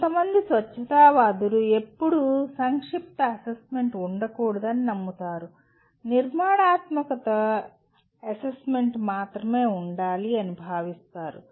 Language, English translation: Telugu, Some purists believe there should never be summative assessment, there should only be formative assessment